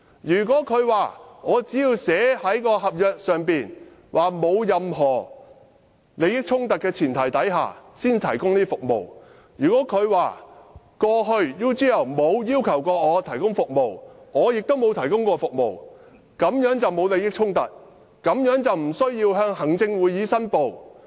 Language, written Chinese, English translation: Cantonese, 梁振英聲稱："我在合約內訂明，在沒有任何利益衝突的前提下才提供這些服務；過去 UGL 從來沒有要求我提供服務，我也從來沒有提供服務，所以沒有利益衝突，也無須向行政會議申報。, LEUNG Chun - ying claimed that I have stipulated in the agreement that such services will only be provided on the premise that there is no conflict of interest; UGL has never asked me to provide services and I have never provided services; thus there is no conflict of interest and there is no need to report to the Executive Council